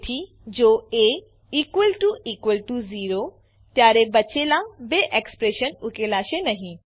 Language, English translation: Gujarati, So, if a == zero, then the remaining two expressions wont be evaluated